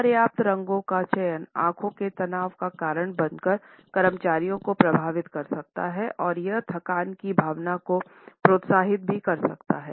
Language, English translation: Hindi, Choosing inadequate colors may impact employees by causing not only eye strain or headache, but also it can encourage a sense of fatigue